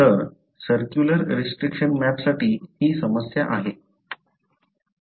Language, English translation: Marathi, So, this is a problem for a circular restriction map